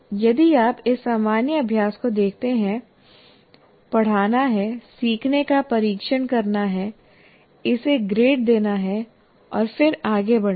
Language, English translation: Hindi, If you look at this common practice is to teach, test the learning, grade it and then move on